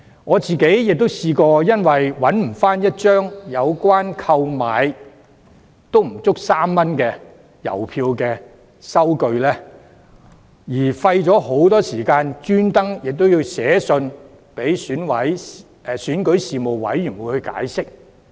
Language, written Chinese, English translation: Cantonese, 我亦曾因為找不到一張購買3元以下的郵票的收據，便花了很多時間特意致函選舉事務處解釋。, I have also once spent a good deal of time on writing to the Registration and Electoral Office REO and explaining my case specifically for I could not find a receipt for purchase of some stamps worthing less than 3